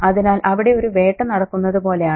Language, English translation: Malayalam, So it's almost as if there is a hunt there